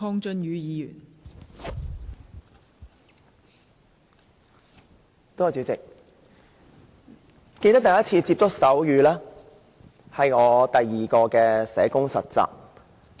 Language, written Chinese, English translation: Cantonese, 代理主席，我記得第一次接觸手語，是在我第二次當實習社工期間。, Deputy President I can remember that I had my first experience with sign language when I worked as a student social worker for the second time